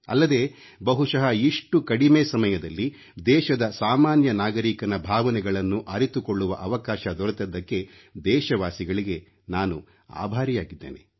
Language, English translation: Kannada, I am thankful to our countrymen for having provided me an opportunity to understand the feelings of the common man